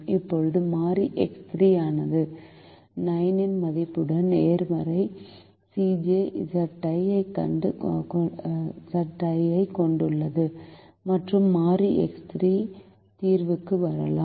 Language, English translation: Tamil, now variable x three has a positive c j minus z j with the value of nine, and variable x three can come into the solution